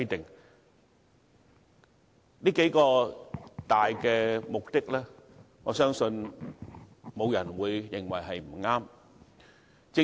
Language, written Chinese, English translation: Cantonese, 對於這數個大目的，我相信沒有人會認為不對。, I do not think anybody will raise objection to these major objectives